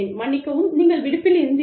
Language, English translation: Tamil, And, i am sorry, you were on leave